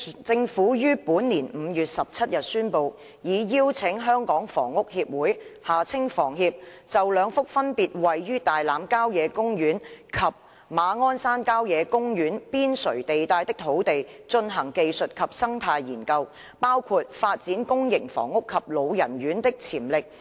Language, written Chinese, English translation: Cantonese, 政府於本年5月17日宣布，已邀請香港房屋協會就兩幅分別位於大欖郊野公園及馬鞍山郊野公園邊陲地帶的土地，進行技術及生態研究，包括發展公營房屋及老人院的潛力。, On 17 May this year the Government announced that it had invited the Hong Kong Housing Society HKHS to undertake technical and ecological studies including the potential for developing public housing and elderly homes in respect of two sites located on the periphery of Tai Lam Country Park and Ma On Shan Country Park respectively